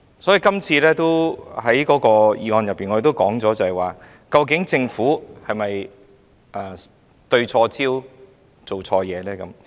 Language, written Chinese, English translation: Cantonese, 所以，在今天的議案中，我們也提到政府究竟有否對錯焦、做錯事呢？, Hence in the motion today we also mention whether the Government is off the mark or has done something wrong